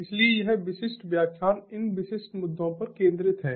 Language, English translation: Hindi, so this particular lecture is focused on these specific issues